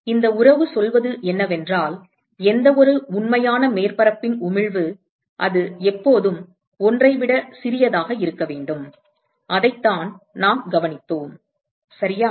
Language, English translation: Tamil, So, what this relationship says is that the emissivity of any real surface, it has to always be smaller than 1 and that is what we observed right